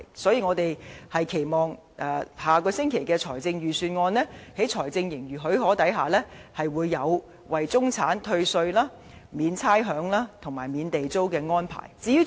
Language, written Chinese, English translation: Cantonese, 所以，我們期望下星期的財政預算案，在財政盈餘許可下，會提出為中產退稅、免差餉，以及免地租的安排。, So we hope the Government can introduce measures like tax rebate rates waiver and Government rent waiver for the middle class in the Budget next week if the fiscal surplus renders this possible